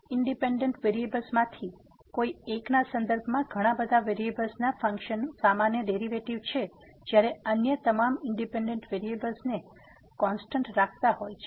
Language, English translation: Gujarati, It is a usual derivative of a function of several variables with respect to one of the independent variable while keeping all other independent variables as constant